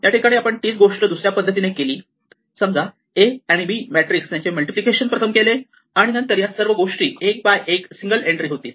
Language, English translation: Marathi, Now if I do it the other way, if I take A times B first then this whole thing collapses into a 1 by 1 single entry